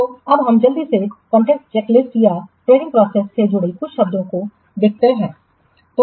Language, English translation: Hindi, So, let's quickly see some of the what contract checklist or the some of the terms associated with the tendering process